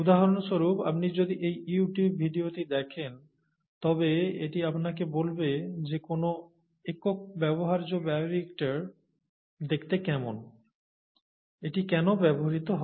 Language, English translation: Bengali, For example, if you see this figure, I think this is a video, YouTube it is a video, it will tell you how a single use bioreactor looks like, and what it is used for and so on